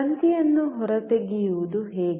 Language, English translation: Kannada, How to take out the wire